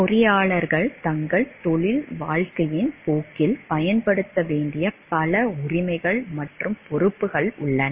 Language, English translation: Tamil, There are many rights and responsibilities that engineers must exercise in the course of their professional careers